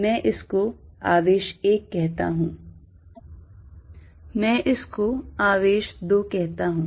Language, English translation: Hindi, I am calling this charge 1, I am calling this charge 2